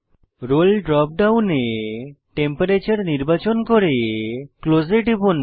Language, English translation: Bengali, In the Role drop down, select Temperature and click on Close